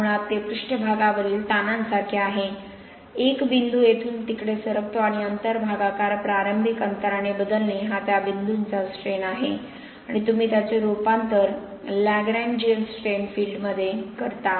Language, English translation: Marathi, You can find out the Lagrangian strain fields based on the movement of speckles, basically it is like surface strains right, a point moves from here to there change in distance divide by initial distance is a strain of that point and you convert that into Lagrangian strain field